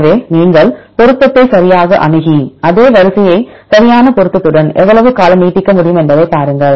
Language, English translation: Tamil, So, then you access the match right to further and see how long you can extend the same sequence to with the exact match